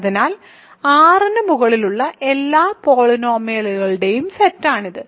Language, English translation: Malayalam, So, this is the set of all polynomials over R